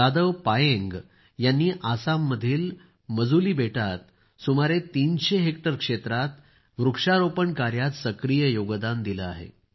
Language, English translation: Marathi, Shri Jadav Payeng is the person who actively contributed in raising about 300 hectares of plantations in the Majuli Island in Assam